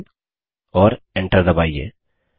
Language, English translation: Hindi, dot txt and press enter